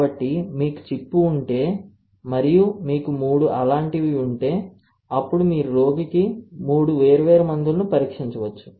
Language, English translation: Telugu, So, if you have the chip and you have 3 of this then you can test 3 different drugs for the given patient, is not it